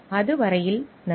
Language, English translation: Tamil, Till then thank you